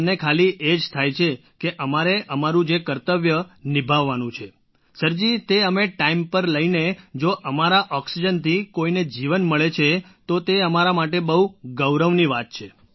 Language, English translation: Gujarati, For us, it's just that we are fulfilling our duty…if delivering oxygen on time gives life to someone, it is a matter of great honour for us